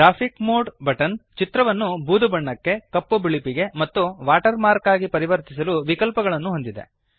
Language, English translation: Kannada, The Graphics mode button has options to change the image into grayscale, black and white or as a watermark